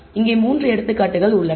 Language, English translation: Tamil, Here are 3 examples